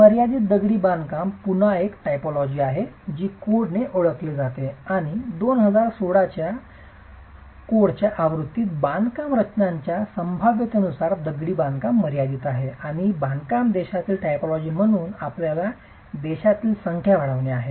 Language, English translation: Marathi, Confined masonry today is again a typology that the code has recognized and in the 2016 version of the code actually has confined masonry as a structural possibility and is also increasing in terms of numbers in our country as a construction typology